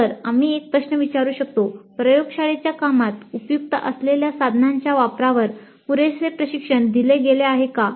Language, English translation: Marathi, So we can ask a question, adequate training was provided on the use of tools helpful in the laboratory work